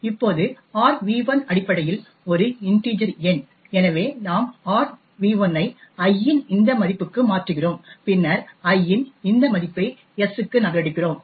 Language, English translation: Tamil, Now argv1 is essentially an integer number and therefore we convert argv1 to this value of i then we copy this value of i to s